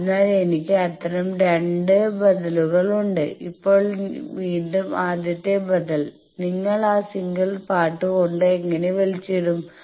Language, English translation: Malayalam, So, I have 2 such alternatives the first alternative now again if you go to that single part there how the pulling